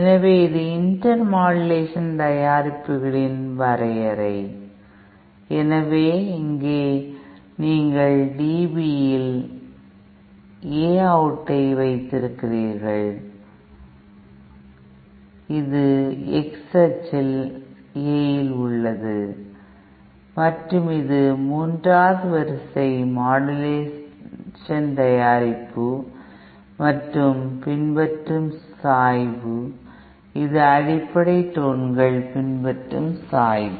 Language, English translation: Tamil, So this is the definition of the intermodulation products, so here you have A out in dB, this is A in along the X axis and this is the slope that the third order modulation product follows and this is the slope that the fundamental tones follows